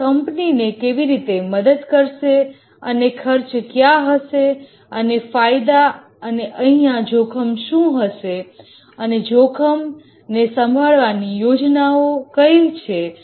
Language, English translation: Gujarati, How it will help the company and what are the costs and benefits and what will be the risks here and what are the plans of risk management